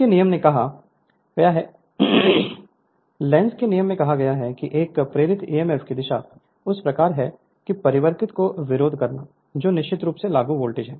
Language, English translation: Hindi, This can be deduced by Lenz’s law which states that the direction of an induced emf such as to oppose the change causing it which is of course, the applied voltage right